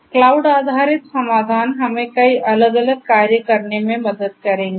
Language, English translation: Hindi, Cloud based solutions will help us in doing a number of different things